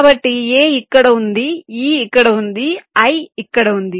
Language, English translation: Telugu, so a is here, e is here, i is here